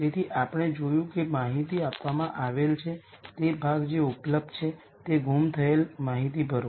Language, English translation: Gujarati, So, we see that given part of the information which is the data that is available fill the missing information